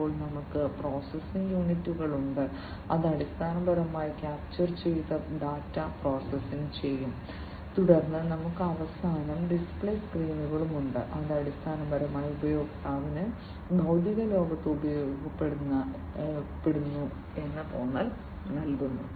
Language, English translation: Malayalam, Then we have the processing units, these processing units, which basically will process the data that is captured, then we have finally, the display screens, these are very important components, the display screens, which basically give the user the feeling of being used in the physical world